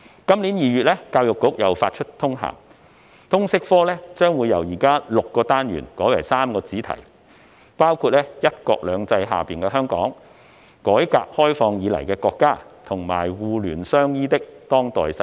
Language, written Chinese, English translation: Cantonese, 今年2月，教育局再次發出通函，表示通識科將由現時的6個單元改為3個主題，包括"'一國兩制'下的香港"、"改革開放以來的國家"，以及"互聯相依的當代世界"。, EDB issued another circular memorandum again in February this year stating that LS is no longer comprised of six modules but three themes namely Hong Kong under One Country Two Systems Our Country since Reform and Opening - up and Interconnectedness and Interdependence of the Contemporary World